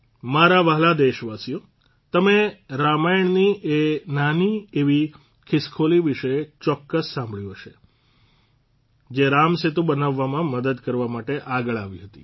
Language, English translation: Gujarati, My dear countrymen, you must have heard about the tiny squirrel from the Ramayana, who came forward to help build the Ram Setu